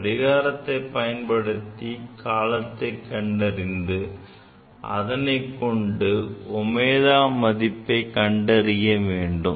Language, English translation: Tamil, So, if you find out the time period, one can find out the omega